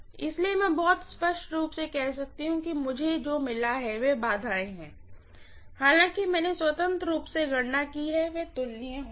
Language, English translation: Hindi, So I can say very clearly that the impedances what I have got, although I have calculated independently maybe they would be comparable